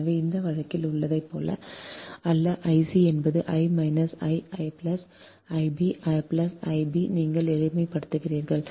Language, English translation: Tamil, so in the, in the, in this case, not like, not like i c is equal to minus i a plus i b, you just simplify